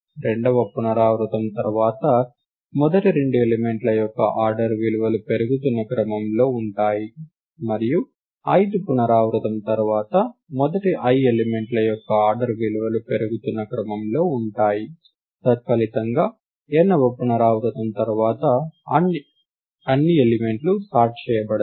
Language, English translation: Telugu, After the second iteration, the order values of the first two elements are in increasing order, and after the ith iteration the order values of the first i elements are in increasing order, consequently after the nth iteration all the elements are sorted